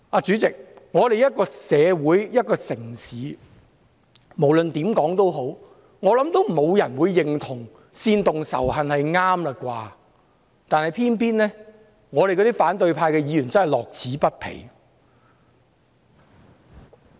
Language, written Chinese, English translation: Cantonese, 主席，一個社會、一個城市，無論如何，沒有人會認同煽動仇恨是對的，但偏偏反對派議員樂此不疲。, President in no society or city will one agree that it is right to incite hatred but it is the opposition Members who never get bored with such incitement